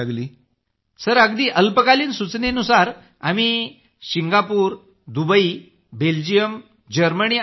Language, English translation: Marathi, Sir, for us on short notice to Singapore, Dubai, Belgium, Germany and UK